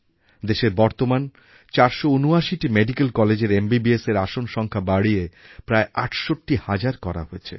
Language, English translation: Bengali, In the present 479 medical colleges, MBBS seats have been increased to about 68 thousand